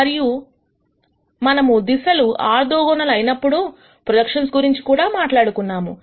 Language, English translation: Telugu, And we also talked about projections when these directions are orthogonal